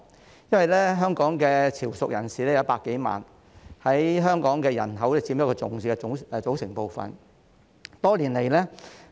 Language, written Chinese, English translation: Cantonese, 香港有100多萬名潮籍人士，是香港人口中一個重要的組成部分。, More than a million Hong Kong residents have ancestral roots in Chiu Chow and they are an important part of the Hong Kong population